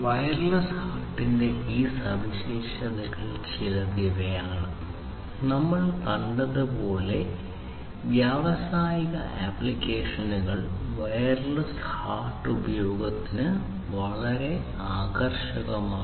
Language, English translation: Malayalam, So, these are the some of these features of the wireless HART and as we have seen industrial applications are the ones where wireless HART has been found to be very attractive for use